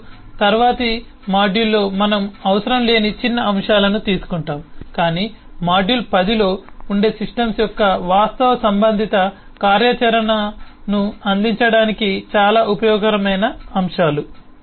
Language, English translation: Telugu, now in the next module we will take up the minor elements which are not essential but often turn out to be very useful elements to provide the actual related functionality of the system